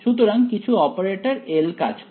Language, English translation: Bengali, So, some operator L acts on